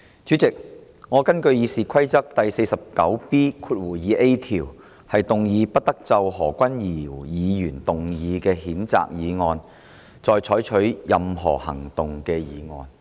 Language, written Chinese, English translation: Cantonese, 主席，我根據《議事規則》第 49B 條，動議"不得就何君堯議員動議的譴責議案再採取任何行動"的議案。, President in accordance with Rule 49B2A of the Rules of Procedure I move a motion that no further action shall be taken on the censure motion moved by Dr Junius HO